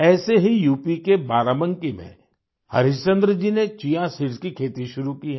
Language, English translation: Hindi, Similarly, Harishchandra ji of Barabanki in UP has begun farming of Chia seeds